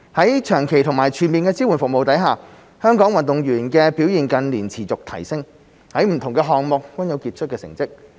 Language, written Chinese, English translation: Cantonese, 在長期及全面的支援服務下，香港運動員的表現近年持續提升，在不同項目均有傑出成績。, With long - term and comprehensive support services the performance of Hong Kong athletes has continued to improve in recent years and outstanding results are achieved in different events